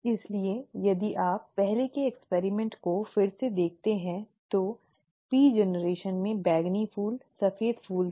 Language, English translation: Hindi, Therefore, if you look at the earlier experiment again, the P generation had purple flowers, white flowers